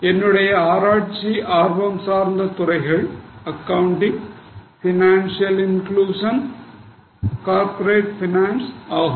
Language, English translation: Tamil, My research interests are also accounting, financial inclusion, corporate finance